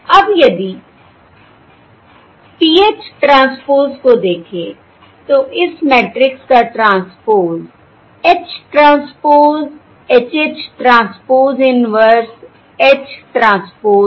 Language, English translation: Hindi, Now, if you look at PH transpose, the transpose of this matrix is H transpose H, H transpose, inverse H transpose